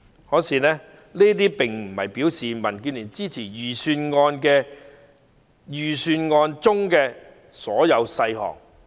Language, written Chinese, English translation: Cantonese, 然而，這並不代表民建聯支持預算案中所有細項。, However it does not mean that DAB supports all the details in the budget